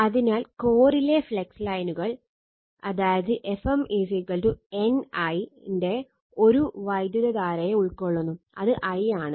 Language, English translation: Malayalam, So, that means, the flux lines in the core enclose a current of F m is equal to N I right